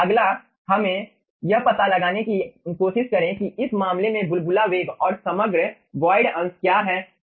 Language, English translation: Hindi, next, let us try to find out what is the bubble velocity in this case and the overall ah void fraction